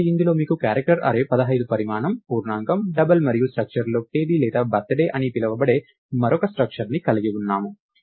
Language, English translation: Telugu, So, in this one we have an char we have a character array of size 15, an integer, a double and within a structure we have another structure called date or birthday